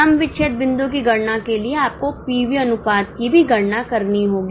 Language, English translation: Hindi, For calculating break even point, of course you have to calculate the PV ratio also